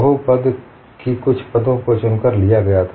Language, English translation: Hindi, Certain terms of the polynomials were selected, and put